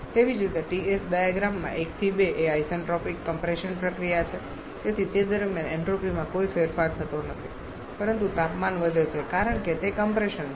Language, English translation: Gujarati, Similarly TS diagram 1 to 2 is the isentropic compression process, so during which in there is no change in entropy but temperature increases because it is a compression